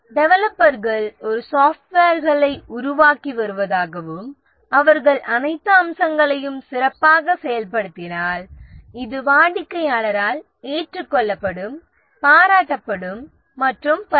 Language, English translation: Tamil, Let's say the developers are developing a software and if they implement all the features well then this will be accepted by the customer appreciated and so on